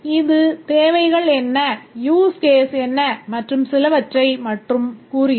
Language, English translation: Tamil, It just tells us what are the requirements, what are the use cases and so on